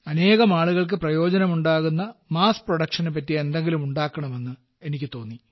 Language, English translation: Malayalam, From there, I got the inspiration to make something that can be mass produced, so that it can be of benefit to many people